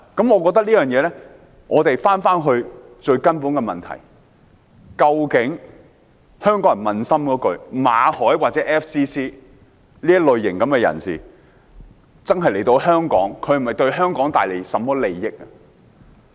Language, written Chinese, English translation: Cantonese, 我們回到最根本的問題，香港人可撫心自問，馬凱或 FCC 的這類型人士來香港，究竟是否真的為香港帶來利益？, Let us return to the fundamental question . Hong Kong people should honestly ask themselves Will it really be beneficial to Hong Kong to let Victor MALLET or other FCC members like him come to Hong Kong?